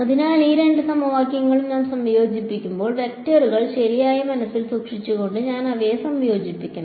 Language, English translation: Malayalam, So, when I combine these two equations I must combine them keeping the vectors in mind right